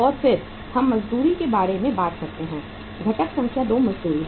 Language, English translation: Hindi, And then we talk about the wages, number 2 is wages